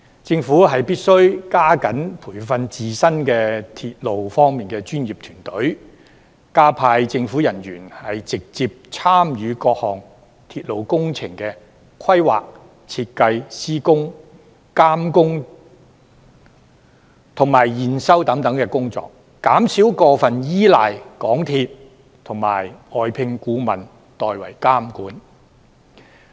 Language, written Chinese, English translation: Cantonese, 政府必須加緊培訓自身的鐵路專業團隊，加派政府人員直接參與各項鐵路工程的規劃、設計、施工、監工及驗收等工作，減少過分依賴港鐵公司及外聘顧問代為監管。, Instead the Government has to step up training its own professional team on railway development deploy more government officers to directly participate in the planning design construction supervision and verification work of various railway projects and reduce over - reliance on MTRCL and external consultants for monitoring the projects on its behalf